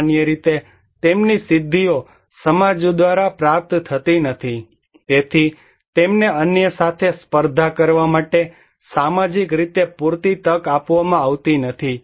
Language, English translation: Gujarati, Generally, their achievements are not achieved by society, so they are not given enough opportunity socially to compete with other